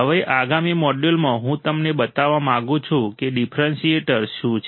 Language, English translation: Gujarati, Now, in the next module, what I want to show you what is a differentiator